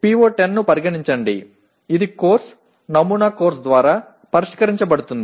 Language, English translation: Telugu, Consider the PO10 which is addressed by the course, sample course